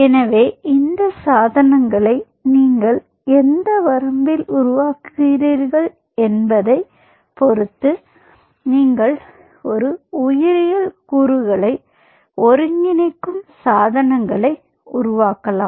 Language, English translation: Tamil, ok, so, depending on at what range you are developing these devices, so these are devices on which you are integrating a biological component